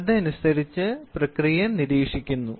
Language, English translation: Malayalam, So, accordingly the process is monitored